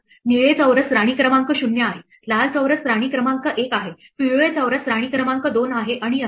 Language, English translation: Marathi, The blue squares are queen 0, the red squares are queen one, the yellow squares are queen two and so on